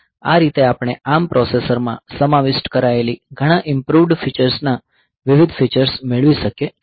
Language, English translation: Gujarati, So, this way we can have different features of many improved feature that have been incorporated into the ARM processor